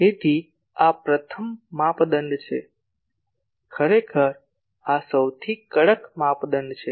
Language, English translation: Gujarati, So, this is the first criteria, actually this turns out to be the most stringent criteria